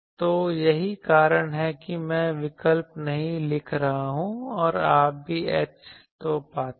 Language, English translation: Hindi, So, that is why I am not writing the alternative and also you find H